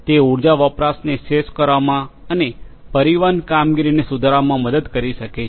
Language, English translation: Gujarati, It can help in optimizing the energy consumption, and to improve the transportation operations